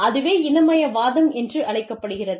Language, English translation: Tamil, That is called Ethnocentrism